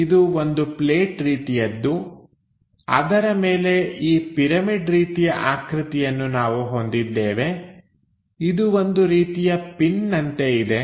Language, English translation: Kannada, So, this is dash one goes via that a plate on top of that we have this kind of pyramid kind of structure which is something like a pin we have it